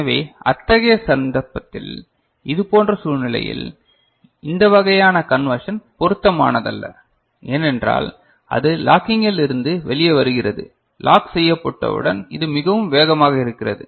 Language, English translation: Tamil, So, in such a case, in such situation, this kind of conversion is not suitable, because it comes out of the locking right, once it is locked it is very fast